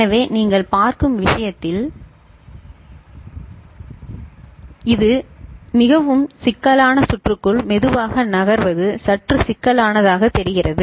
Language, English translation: Tamil, So, in this what you see, it looks bit complicated slowly your moving into more complicated circuit